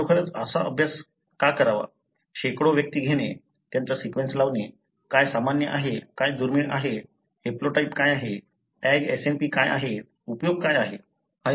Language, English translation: Marathi, So, why should I really do this kind of exercise; take hundreds of individuals, sequence them, what is common, what is rare, what is the haplotype, what are Tag SNPs, what is the use